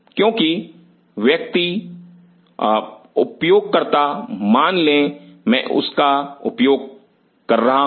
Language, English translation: Hindi, Because the person, the user suppose I am using this